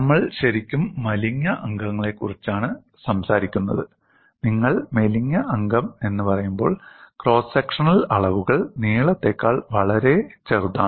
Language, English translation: Malayalam, We are really talking about slender members, when you say slender member, the cross sectional dimensions are much smaller than the length